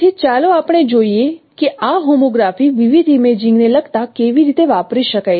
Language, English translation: Gujarati, So we will let us see that how this homography could be used in relating different imaging